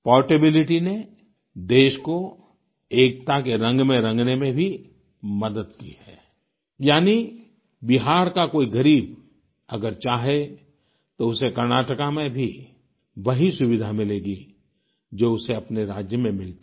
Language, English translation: Hindi, This portability of the scheme has also helped to paint the country in the color of unity, which means, an underprivileged person from Bihar will get the same medical facility in Karnataka, which he would have got in his home state